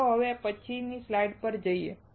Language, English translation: Gujarati, Now let us go to the next slide